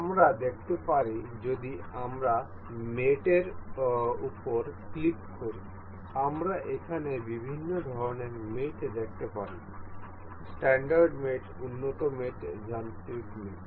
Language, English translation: Bengali, We can see if we click on mate, we can see different kinds of mates here standard mates, advanced mates, mechanical mates